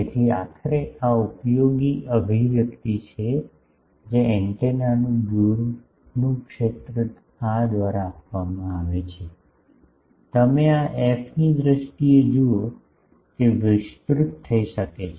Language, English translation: Gujarati, So, this is ultimately the useful expression the far field of the antenna is given by this, you see in terms of this f, it can be expanded